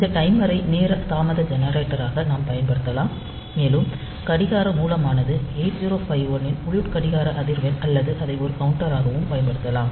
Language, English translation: Tamil, So, we can use this timer as it the time delay generator, and the clock source is the internal clock frequency of 8051 or it can be used as a counter